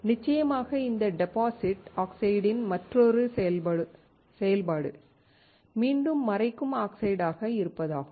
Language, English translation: Tamil, Of course, the other operation of this deposited oxide is again as masking oxides